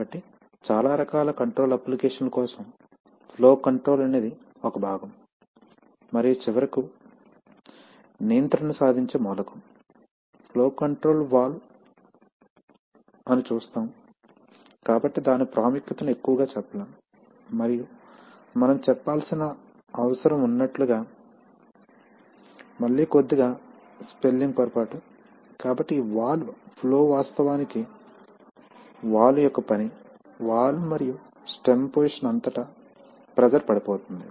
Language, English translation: Telugu, So we see that for most types of control applications flow control is a part and the element that finally achieves the control is the flow control valve, so its importance cannot be overstated and as we shall, as we need to mention, again slight spelling mistake, so this valve flow is actually a function of valve as the pressure drop across the valve and the stem position